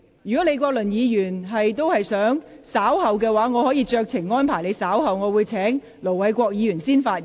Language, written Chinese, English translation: Cantonese, 如果李國麟議員想稍後才發言，我可以酌情先請盧偉國議員發言。, If Prof Joseph LEE wishes to speak later I can exercise my discretion to invite Ir Dr LO Wai - kwok to speak first